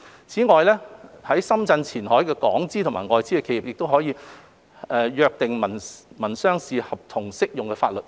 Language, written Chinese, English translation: Cantonese, 此外，在深圳前海的港資及外資企業可以約定民商事合同適用的法律。, Moreover Hong Kong and foreign - invested enterprises in Qianhai Shenzhen may agree on the applicable to be adopted when entering into to civil and commercial contracts